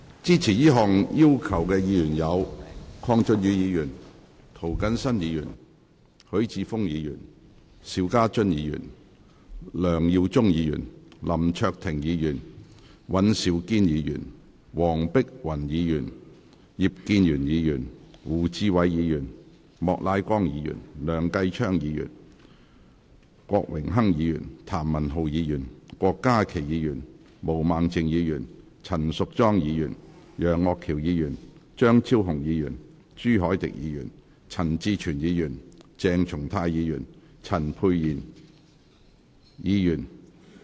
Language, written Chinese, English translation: Cantonese, 支持這項要求的議員有：鄺俊宇議員、涂謹申議員、許智峯議員、邵家臻議員、梁耀忠議員、林卓廷議員、尹兆堅議員、黃碧雲議員、葉建源議員、胡志偉議員、莫乃光議員、梁繼昌議員、郭榮鏗議員、譚文豪議員、郭家麒議員、毛孟靜議員、陳淑莊議員、楊岳橋議員、張超雄議員、朱凱廸議員、陳志全議員、鄭松泰議員及陳沛然議員。, Members who support this request are Mr KWONG Chun - yu Mr James TO Mr HUI Chi - fung Mr SHIU Ka - chun Mr LEUNG Yiu - chung Mr LAM Cheuk - ting Mr Andrew WAN Dr Helena WONG Mr IP Kin - yuen Mr WU Chi - wai Mr Charles Peter MOK Mr Kenneth LEUNG Mr Dennis KWOK Mr Jeremy TAM Dr KWOK Ka - ki Ms Claudia MO Ms Tanya CHAN Mr Alvin YEUNG Dr Fernando CHEUNG Mr CHU Hoi - dick Mr CHAN Chi - chuen Dr CHENG Chung - tai and Dr Pierre CHAN